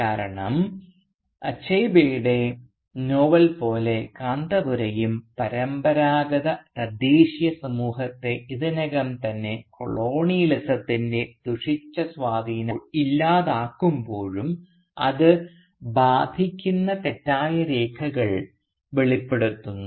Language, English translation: Malayalam, Because, like Achebe’s novel, Kanthapura too brings out the fault lines that already plague the traditional indigenous society even when it is bereft of the corrupting influence of colonialism